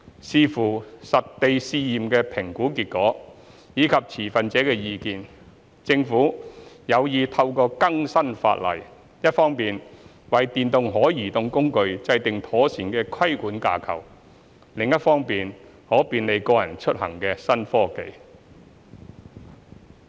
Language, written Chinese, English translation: Cantonese, 視乎實地試驗的評估結果及持份者的意見，政府有意透過更新法例，一方面為電動可移動工具制訂妥善的規管架構，另一方面便利個人出行的新科技。, Subject to the evaluation findings from the site trials and consultation results with stakeholders the Government intends to introduce legislative amendments with a view to providing a proper regulatory framework for electric mobility devices on the one hand and embracing new technologies for personal mobility on the other hand